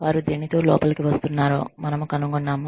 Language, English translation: Telugu, We find out, what they are coming in with